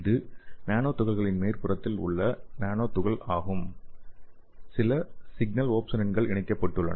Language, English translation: Tamil, So you can see here, this is your nanoparticle on the top of the nanoparticle some signals opsonins are attached okay